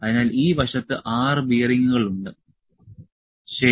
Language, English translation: Malayalam, So, there are 6 bearings on this side, ok